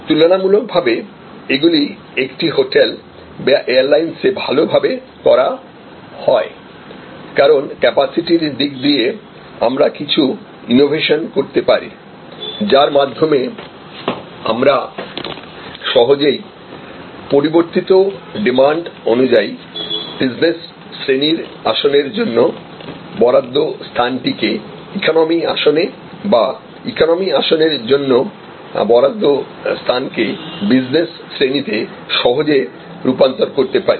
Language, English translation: Bengali, These are relatively well done in a hotel or on an airlines, because on the capacity side also we can do some innovation, whereby we can actually easily convert the space allocated for business class seats to economy seats or the space allocated for economy seats to business class seats depending on shifting demand